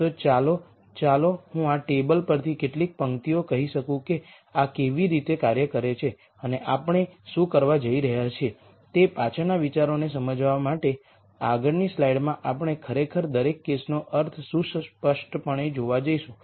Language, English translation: Gujarati, So, let me pick let us say a couple of rows from this table to explain the ideas behind how this works and what we are going to do is in the next slide we are actually going to see graphically what each of this case means